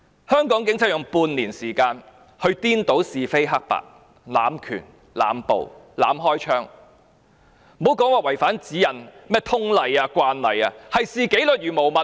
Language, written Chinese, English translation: Cantonese, 香港警察用半年時間去顛倒是非黑白、濫權、濫捕、濫開槍，莫說違反指引、通例、慣例，簡直是視紀律如無物。, The Hong Kong Police Force have used half a year to confound right and wrong abuse power make indiscriminate arrests and fire shots wantonly not to mention that they have violated the guidelines general orders as well as common practices . They virtually treat discipline as nothing